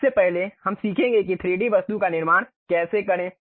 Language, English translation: Hindi, First of all we will learn how to construct a 3D object ok